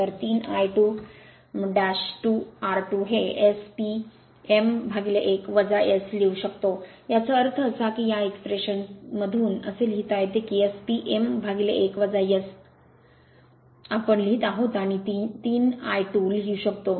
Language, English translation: Marathi, So, 3 I 2 dash square r 2 dash is equal to you can write that is your S P m upon 1 minus S; that means, from this expression that means, from this expression you can write that your S P m upon 1 minus S we are writing and 3 I 2 this one is equal to